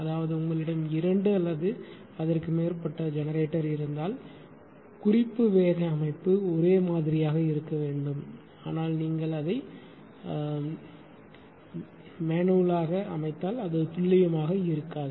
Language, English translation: Tamil, That mean if you go for suppose you have a two or more generator the reference speed setting has to be same, but you if you are setting it manually it may not be accurate